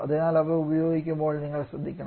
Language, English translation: Malayalam, So you have to be careful while using them